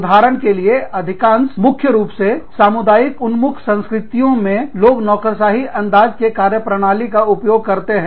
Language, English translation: Hindi, For example, in mostly, primarily, community oriented cultures, people are more used to, a bureaucratic style of functioning